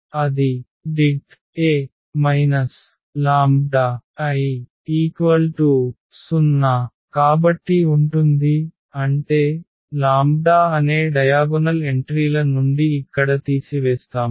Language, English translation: Telugu, So, that will be A minus this lambda I is equal to 0 so; that means, we will subtract here from the diagonal entries lambda